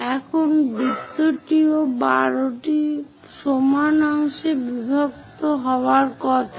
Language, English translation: Bengali, Now, circle also supposed to be divided into 12 equal parts